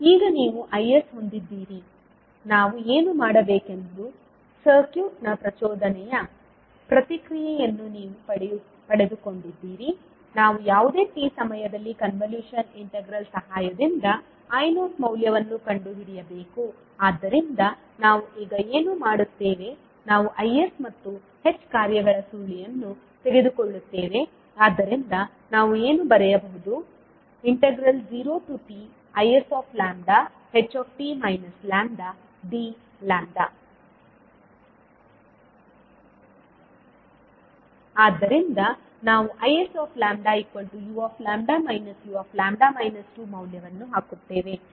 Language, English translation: Kannada, Now you have Is, you have got the impulse response of the circuit what we have to do, we have to find the value of I naught at any time t with the help of convolution integral so what we will do now we will take the convolution of Is and h functions so what we can write we can write zero to t Is and will take the dummy variable as lambda so Is lambda h t minus lambda d lambda